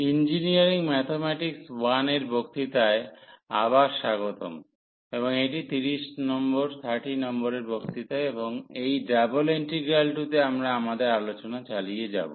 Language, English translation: Bengali, So, welcome back to the lectures on Engineering Mathematics I and this is lecture number 30 and you will continue our discussion on Double Integrals